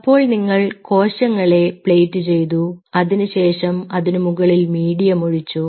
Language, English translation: Malayalam, you played the cells and on top of it you put the medium